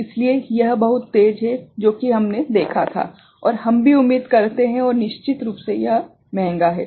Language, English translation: Hindi, So, it is very fast that we had seen and we expect also and of course, it is costlier right